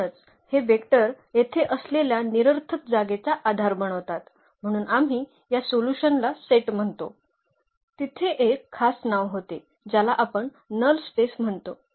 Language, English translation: Marathi, Therefore, these vectors form a basis of the null space here remember so, we call this solution set there was a special name which we call null space